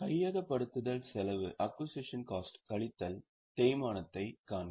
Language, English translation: Tamil, See, acquisition cost minus depreciation